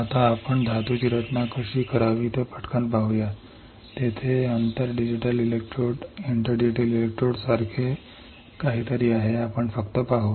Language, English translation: Marathi, Now, let us see quickly how to design a metal there is something like inter digital electrodes, we will just see